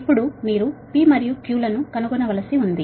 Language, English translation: Telugu, now you have to find out p and q